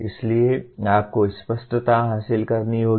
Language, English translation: Hindi, So the you have to achieve clarity